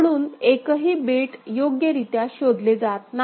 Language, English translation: Marathi, So, no bit is properly detected ok